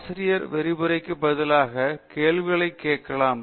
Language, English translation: Tamil, The teacher also can ask questions instead of delivering the lecture